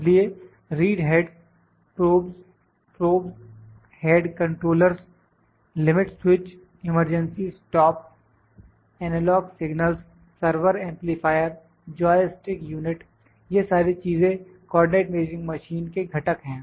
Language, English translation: Hindi, So, read heads probes, probe had controllers, limit switches, emergency stop, analogue signals, server amplifier, joystick unit, all these things are the components of the coordinate measuring machine